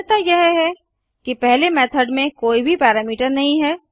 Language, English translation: Hindi, The difference is that the first method has no parameter